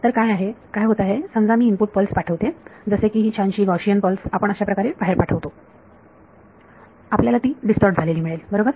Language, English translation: Marathi, So, what happens is suppose I send a input pulse like this nice Gaussian pulse we send like this outward happens is you will get distorted right